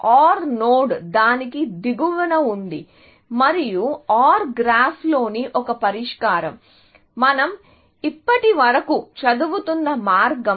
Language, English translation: Telugu, OR node is below that, and a solution in the OR graph like this, the kind that we have been studying so far, is the path